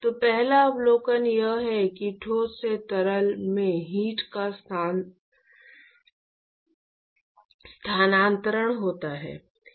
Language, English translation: Hindi, So, the first observation is that, heat transferred from solid to liquid